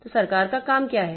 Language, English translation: Hindi, So, what is the job of a government